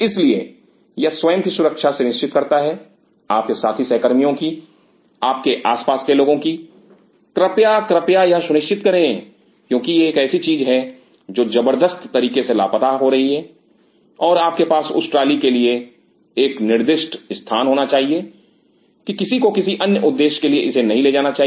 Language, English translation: Hindi, So, that it ensures the safety of yourself your fellow colleagues and everybody around please, please, please ensure that because this is something which is drastically immersing and you should have a designated spot for that trolley that no one should take it for some other purpose